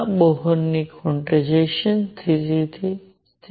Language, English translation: Gujarati, This is the Bohr quantization condition